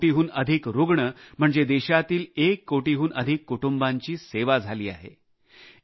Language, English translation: Marathi, More than one crore patients implies that more than one crore families of our country have been served